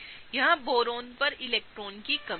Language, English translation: Hindi, Boron here is electron deficient